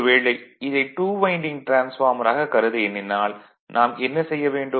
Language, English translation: Tamil, Now for example, if I want it is a two winding transformer, then what I will what we will do